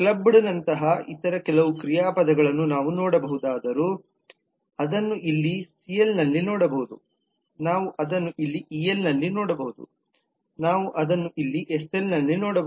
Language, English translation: Kannada, whereas we could look into some of the other verbs like clubbed we can see that here in cl, we can see that here in el, we can see that here in sl and so on